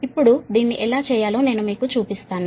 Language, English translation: Telugu, now i will show you how to do it, right